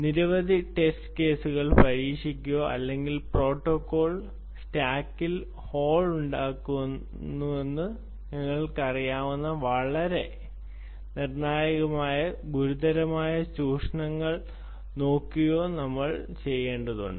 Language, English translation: Malayalam, for instance are trying out many, many test cases, fazing, or even looking at very specific exploits, critical exploits, which will, you know, put holes in to the protocol stack